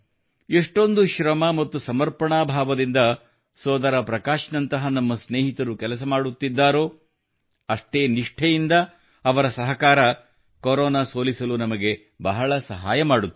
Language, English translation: Kannada, The kind of hard work and commitment that our friends like Bhai Prakash ji are putting in their work, that very quantum of cooperation from them will greatly help in defeating Corona